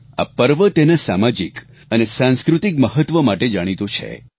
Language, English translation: Gujarati, This festival is known for its social and cultural significance